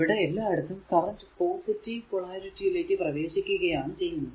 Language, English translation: Malayalam, Because everywhere you will see currents are entering to the positive polarity